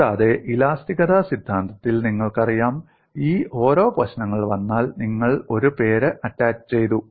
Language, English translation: Malayalam, And you know in theory of elasticity, if you come for each of this problem, a name is attached